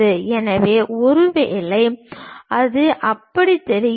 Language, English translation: Tamil, So, maybe it looks like that